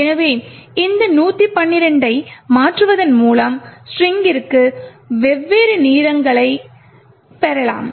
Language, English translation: Tamil, So, by varying this 112, we could actually get different lengths for the string